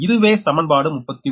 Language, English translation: Tamil, this is equation thirty nine, right